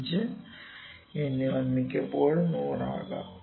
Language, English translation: Malayalam, 5 in most of the times it would be 100